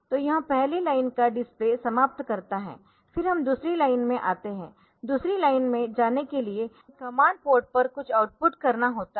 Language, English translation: Hindi, So, this aims the display of the first line then we come to the second line, in the second line for going to second line we have to output something to the command port